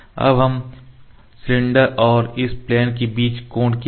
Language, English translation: Hindi, What should be the angle between the cylinder and this plane